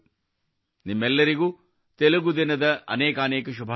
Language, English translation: Kannada, Many many congratulations to all of you on Telugu Day